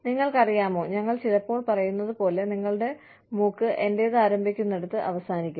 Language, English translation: Malayalam, You know, as we say, sometimes that, your nose ends, where mine begins